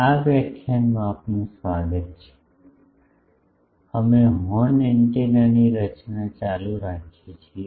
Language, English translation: Gujarati, Welcome to this lecture, we are continuing the design of Horn Antenna